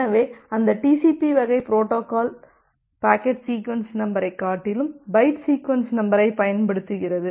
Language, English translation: Tamil, So, that TCP type of protocol it uses byte sequence number rather than the packet sequence numbers